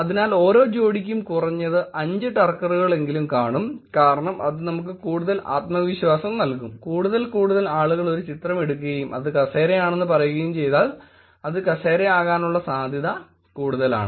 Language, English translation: Malayalam, So, at least 5 Turkers for each pair because then we'll see more confidence, more and more people say that, more and more people take a image and say that this is the chair and there is high confidence that is going to be a chair